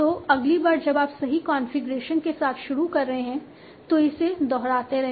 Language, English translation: Hindi, So the next time you are starting with the correct configuration, keep on repeating it